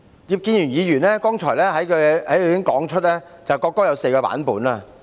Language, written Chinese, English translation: Cantonese, 葉建源議員剛才在他的發言中指出，國歌有4個版本。, Mr IP Kin - yuen has said in his speech just now that there are four versions of the national anthem